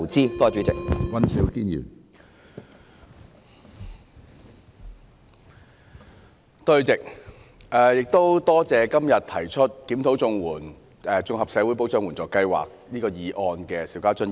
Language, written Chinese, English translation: Cantonese, 主席，感謝今天提出"檢討綜合社會保障援助計劃"議案的邵家臻議員。, President I thank Mr SHIU Ka - chun for proposing the motion on Reviewing the Comprehensive Social Security Assistance Scheme